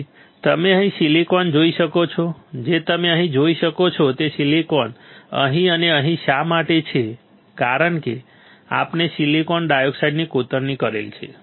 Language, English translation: Gujarati, So, you can see here silicon right what you can see here is silicon here and here why because we have etched the silicon dioxide